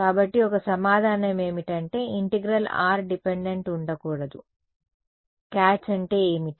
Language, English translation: Telugu, So, one answer is that it will be the integral will be r dependent it should not be r dependent what is the catch